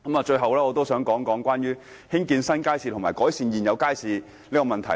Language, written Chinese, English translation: Cantonese, 最後，我想討論有關興建新街市和改善現有街市的問題。, Finally I would like to discuss the issues of building new markets and improving existing markets